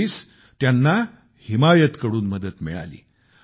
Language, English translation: Marathi, Eventually, he was helped by the 'Himayat Programme'